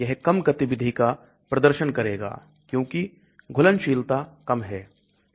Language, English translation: Hindi, It will exhibit low activity because solubility is low